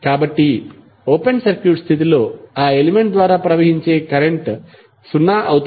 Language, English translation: Telugu, So, it means that under open circuit condition the current flowing through that element would be zero